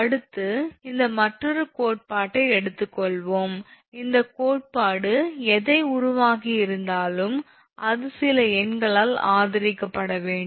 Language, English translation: Tamil, Next, we will take another example this all these theory whatever you have made it is has to be supported by some good numericals right